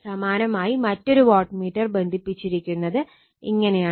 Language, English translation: Malayalam, Similarly another wattmeter is carried your what you call , connected like this right